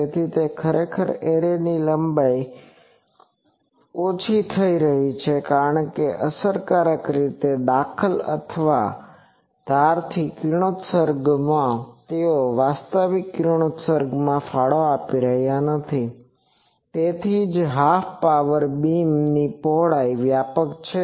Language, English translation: Gujarati, So, actually the array length is getting reduced because effectively, the interference or the radiations from the edges they are not contributing to the actual radiation that is why the half power beam width is broader